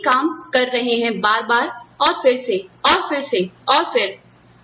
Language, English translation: Hindi, You are doing the same thing, again, and again, and again, and again, and again